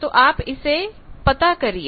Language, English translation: Hindi, So, you can see this